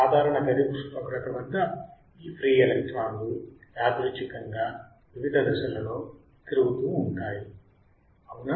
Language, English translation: Telugu, Under the influence of normal room temperature, these free electrons move randomly in a various direction right